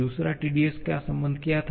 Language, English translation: Hindi, What was the second Tds relation